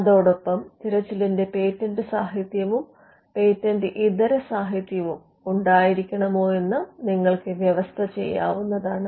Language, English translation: Malayalam, So, or you could also you could also stipulate whether the search should contain patent literature and on patent literature